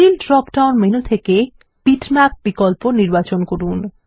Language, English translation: Bengali, From the Fill drop down menu, select the option Bitmap